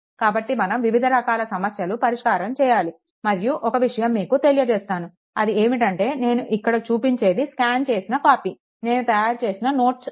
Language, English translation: Telugu, So, we will take different type of problems, and just let me tell you one thing that this ah this whatever whatever I am making it, it is a scanned copy ah that notes which I prepare for something, right